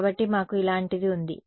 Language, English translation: Telugu, So, we had something like this right